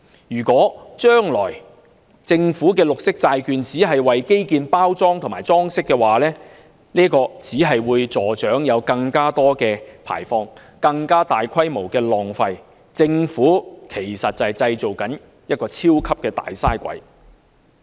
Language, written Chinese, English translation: Cantonese, 如果將來政府的綠色債券只為基建包裝和裝飾，只會助長更多排放，更大規模的浪費，製造"超級大嘥鬼"。, If the Governments green bonds serve only as the packaging and sugarcoating of infrastructure in the future they will just foment more emissions and greater waste creating a mega - waster